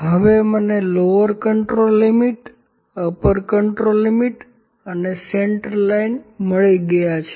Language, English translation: Gujarati, Now I have got upper control limit, lower control limit and central line